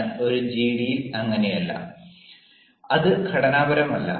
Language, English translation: Malayalam, but in a gd, a gd is unstructured